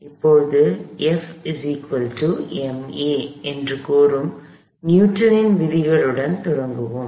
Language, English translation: Tamil, We start with our Newton’s laws, which says F equals m a